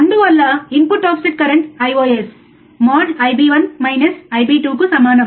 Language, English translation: Telugu, TNow, thus input offset current, I ios, equals to mode of Ib1 minus Ib2I b 1 minus I b 2, right